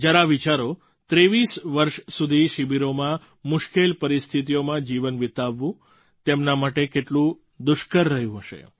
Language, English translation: Gujarati, Just imagine, how difficult it must have been for them to live 23 long years in trying circumstances in camps